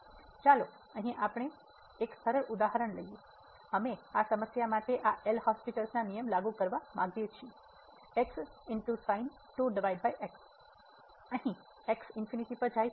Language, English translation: Gujarati, So, let us take a simple example here, we want to apply this L’Hospital rule to this problem over and goes to infinity